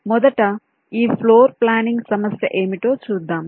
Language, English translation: Telugu, so floor planning, let us first see what this problem is all about